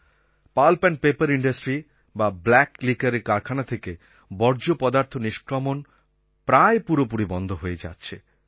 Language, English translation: Bengali, The discharge from the pulp and paper industry or the liquor industry is almost coming to an end